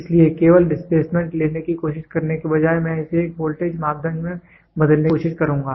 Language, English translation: Hindi, So, instead of trying to take only displacement I will try to convert this in to a voltage parameter